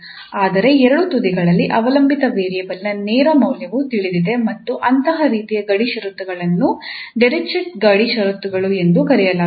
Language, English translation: Kannada, But at both the end the direct value of the dependent variable is known and such type of boundary conditions are called Dirichlet boundary conditions